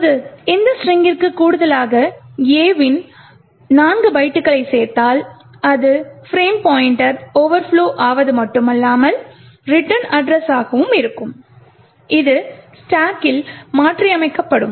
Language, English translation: Tamil, Now if we add 4 more bytes of A to this particular string, it would be not just the frame pointer but also the return address which gets modified on the stack